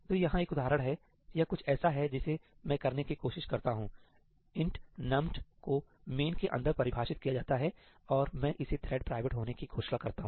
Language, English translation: Hindi, So, here is an example; this is something I try to do int numt is defined inside main and I declare it to be thread private